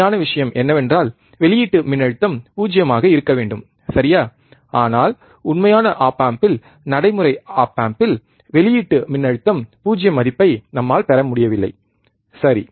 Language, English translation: Tamil, Actual thing is, the output voltage should be 0 right, but in actual op amp in the practical op amp, we are not able to get the value output voltage 0, right